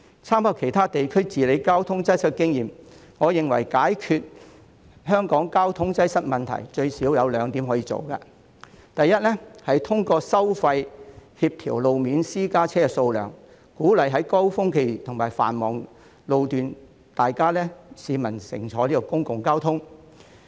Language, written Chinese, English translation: Cantonese, 參考其他地區治理交通擠塞的經驗，我認為解決香港交通擠塞問題，政府最少有兩項工作可以做：第一，透過收費協調路面私家車數量，鼓勵市民在高峰期和繁忙路段乘搭公共交通工具。, With reference to the experience of managing traffic congestion in other regions I think the Government can do at least two things to solve the traffic congestion in Hong Kong . First it can encourage citizens to take public transport during peak hours at busy road sections by coordinating the number of private vehicles on the road through tolls